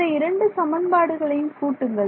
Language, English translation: Tamil, Add these two equations if I add these two equations